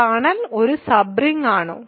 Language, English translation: Malayalam, Is kernel a sub ring